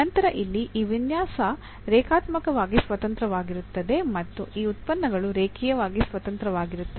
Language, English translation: Kannada, Then we call that these set here is linearly independent or these functions are linearly independent